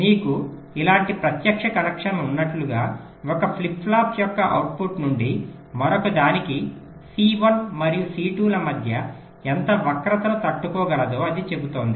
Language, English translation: Telugu, like you have a direct connection like this from the output of one flip flop to the other, its says how much skew between c one and c two can be tolerated